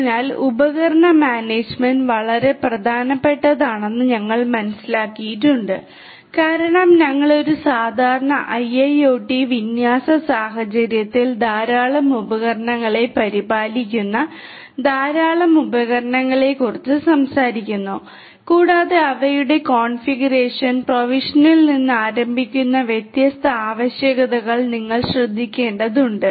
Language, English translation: Malayalam, So, we have understood that device management is very important because we are talking about in IIoT scenarios large number of devices taking care of large number of devices in a typical IIoT deployment scenario and you have to take care of different different requirements starting from their configuration provisioning faults security and so on and so forth